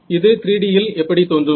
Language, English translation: Tamil, How will this look like in 3 D